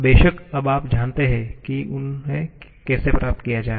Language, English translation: Hindi, Of course, you now know how to derive them